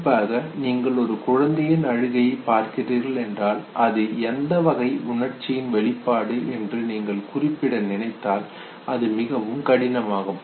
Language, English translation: Tamil, Especially say, if you are looking at the crying bout of an infant, and if you want to demark it which expression this is, it is very difficult